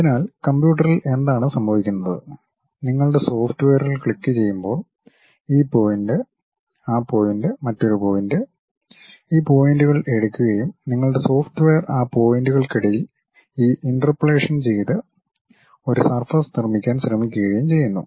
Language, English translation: Malayalam, So, at computer level what it does is when you are clicking a software like pick this point, that point, another point it takes these points and your software try to does this interpolation in between those points try to put a surface